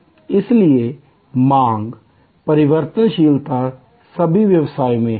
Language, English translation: Hindi, So, variability of demand is there in all business